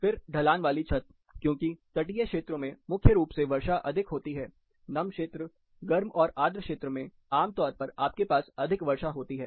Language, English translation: Hindi, Slope roof, because coastal areas mainly precipitation is high, humid zones, warm and humid zones, typically you have more precipitation